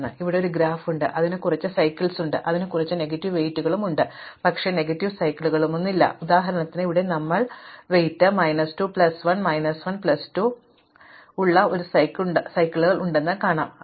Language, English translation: Malayalam, So, here is a graph it has some cycles and it has an some negative weights, but there are no negative cycles, for instance we will see that here we have a cycles who weight is minus 2 plus 1 is minus 1 plus 2 is plus 1